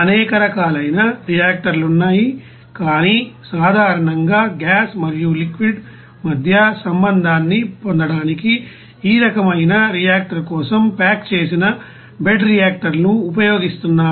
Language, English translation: Telugu, Now there are several different type of reactors are there but generally you know packed bed reactors are being used for this type of reactor to get the contact between gas and liquid